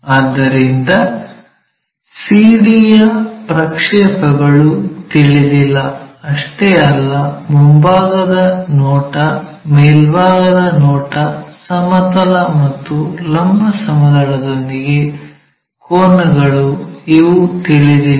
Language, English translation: Kannada, So, here unknowns are projections of CD that is our front view and top view and angles with horizontal plane and vertical plane, these are the things which are unknown